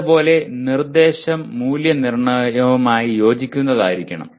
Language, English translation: Malayalam, Similarly, instruction should be in alignment with the assessment